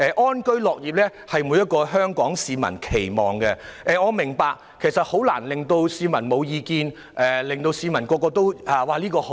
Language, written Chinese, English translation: Cantonese, 安居樂業是每一名香港市民的期望，但我也明白很難令所有市民毫無異議，一致讚好。, Living and working in contentment is the aspiration of all Hong Kong people but I do understand that it is very difficult to obtain consensus and commendation from all members of the public